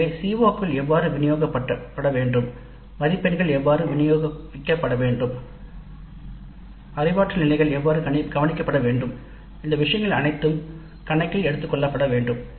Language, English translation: Tamil, So how how the COs are to be distributed, how the marks are to be distributed, how the cognitive levels are to be as addressed, all these things must be taken into account and this is an extremely important activity to be carried out during the design phase